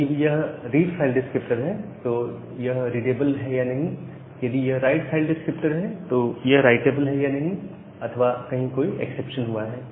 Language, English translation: Hindi, If it is a read file descriptor whether it is writable, if it is a write file descriptor or some exception has happened